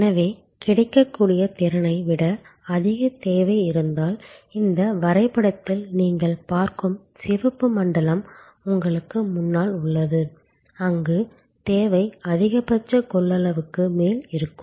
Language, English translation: Tamil, Therefore, if there is demand which is higher than the capacity that is available, the red zone that you see in this diagram in front of you, where the demand is there on top of the maximum available capacity